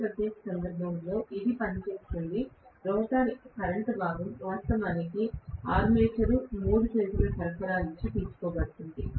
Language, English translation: Telugu, In this particular case, it works, as though the rotor current component is actually drawn from the armature three phase supply